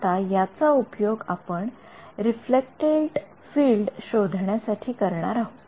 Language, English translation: Marathi, Now, we want to use this to find out, what is the reflected field